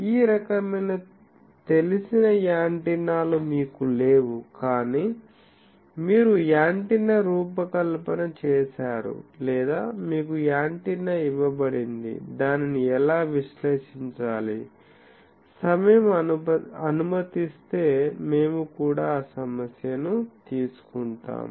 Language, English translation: Telugu, And then we will see actually that if you do not have a, this type of known antennas, but you have designed an antenna or you are given an antenna, how to analyze that if time permits we will also take up that issue